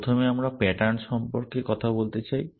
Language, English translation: Bengali, First we want to talk about patterns